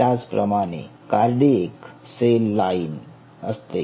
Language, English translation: Marathi, similarly there is a cardiac cell line